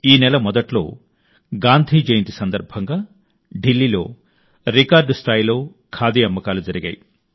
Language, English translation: Telugu, At the beginning of this month, on the occasion of Gandhi Jayanti, Khadi witnessed record sales in Delhi